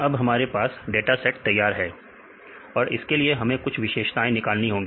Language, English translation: Hindi, Now, we have the dataset ready; for the dataset, we derived some features